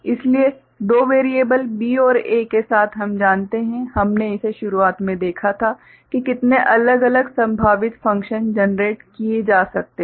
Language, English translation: Hindi, So, with two variables B and A we know, we had seen it in the beginning how many different possible functions can be generated ok